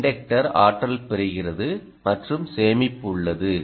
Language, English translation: Tamil, the inductor gets energized and there is storage